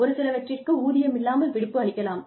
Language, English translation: Tamil, That is why, it would be called unpaid leave